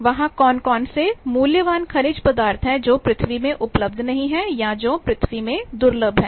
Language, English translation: Hindi, Whether there are various valuable minerals which are not available in earth or which are scarce in earth they also can be extracted and taken